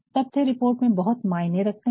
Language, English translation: Hindi, Data is very important in a report